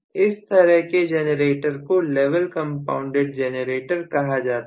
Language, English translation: Hindi, That kind of a generator is known as level compounded generator